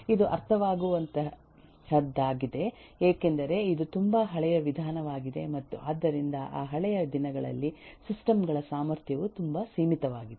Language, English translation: Kannada, It’s understandable because this is been very very old approach and therefore in those eh old days the system capacity itself was very limited